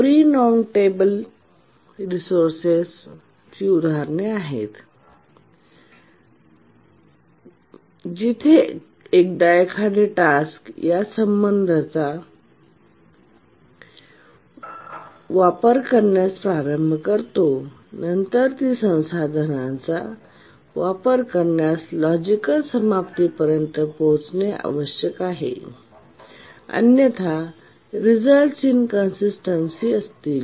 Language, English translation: Marathi, are examples of non preemptible resources where one task once it starts using these resources, it must complete or come to a logical end of use of these resources before it can be preempted